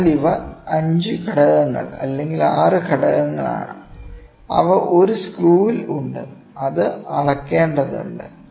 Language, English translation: Malayalam, So, these are the 5 elements or 6 elements, which are there in a screw, which has to be measured